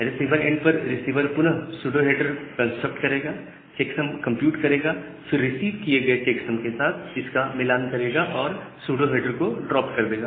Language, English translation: Hindi, At the receiver end, receiver will again construct the pseudo header and compute the checksum make a match with the received checksum and drop that pseudo header